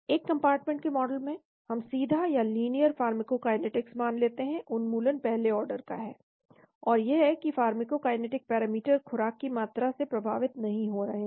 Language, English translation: Hindi, In one compartment model, we assume linear pharmacokinetics elimination is first order, and that pharmacokinetic parameters are not affected by the amount of dose